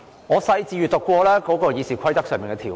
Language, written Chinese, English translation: Cantonese, 我仔細審閱了《議事規則》的條文。, I have read the provisions of RoP carefully